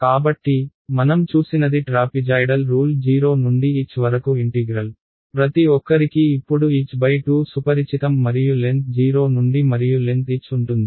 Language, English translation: Telugu, So, what we saw was the trapezoidal rule was for an integral from 0 to h; everyone is familiar by now h by 2 and the length from at 0 and the length at h right